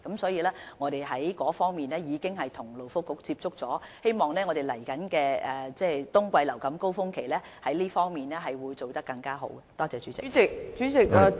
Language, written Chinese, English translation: Cantonese, 所以，作為應對措施，我們亦有與勞工及福利局接觸，希望在接下來的冬季流感高峰期，可以做好這方面的工作。, Hence to address this problem we also liaise with the Labour and Welfare Bureau hoping that we can do a good job in this regard during the next influenza surge in winter